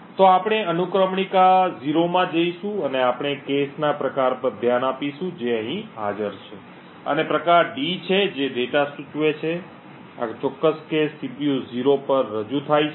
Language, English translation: Gujarati, So will go into index 0 and we will look at the type of cache which is present over here and the type is D, data which indicates that this particular cache represented at CPU 0 index 0 is a data cache